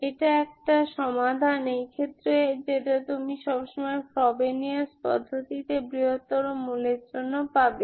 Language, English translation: Bengali, One solution in this case which you always get when for the bigger root in the Frobenius method